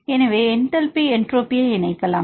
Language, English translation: Tamil, So, we can combine the enthalpy entropy, right